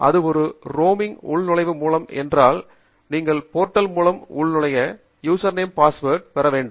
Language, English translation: Tamil, if it is there through a roaming login, then you must get the username and password for you to log in through the portal